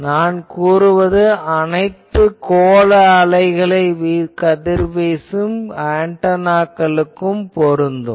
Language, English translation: Tamil, And what I am saying is true for all spherical waves